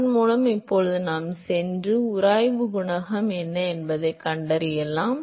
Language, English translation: Tamil, With that now we can go and find out what is the friction coefficient